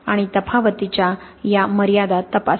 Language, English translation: Marathi, And check these limits of the variation